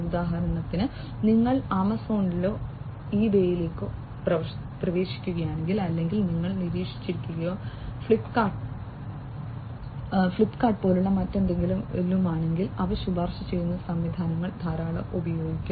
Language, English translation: Malayalam, For example, if you are getting into Amazon or eBay or something you must have observed or even like Flipkart, etcetera they use recommender systems a lot